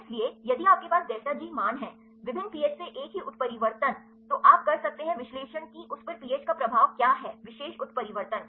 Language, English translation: Hindi, So, if you have the delta g values, a same mutation from different pH, then you can do the analysis what is the effect of pH on it is particular mutation